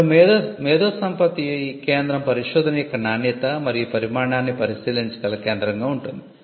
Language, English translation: Telugu, Now, the IP centre will be a centre that can look into the quality and the quantity of research